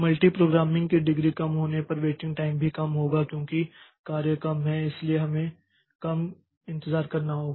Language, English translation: Hindi, Waiting time will also be low if the degree of multi programming is low because there are less jobs so we have to wait less